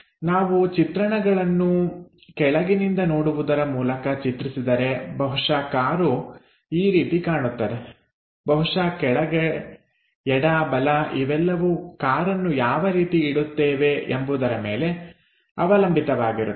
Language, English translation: Kannada, If we are constructing views by looking from bottom side perhaps the car might looks like this perhaps this bottom left right depends on how we are going to keep the car